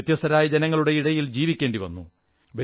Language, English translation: Malayalam, They have to live amongst many different people